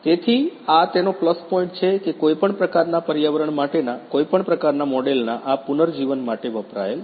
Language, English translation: Gujarati, So, this is the plus point of it used for this regeneration of any kind of model for any kind of environment ok